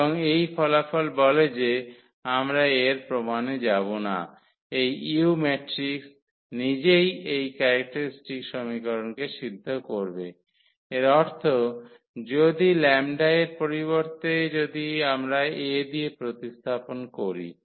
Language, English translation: Bengali, And, this result says which we will not go through the proof that this u this matrix itself will satisfy this characteristic equation; that means, if instead of the lambda if we replace this by A